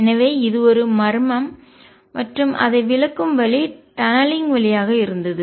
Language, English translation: Tamil, So, this was a mystery and the way it was explain was through tunneling